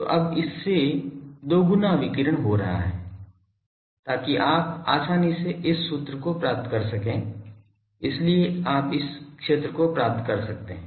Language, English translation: Hindi, So, twice of that now that is radiating so you can easily find this formula, so you can find the field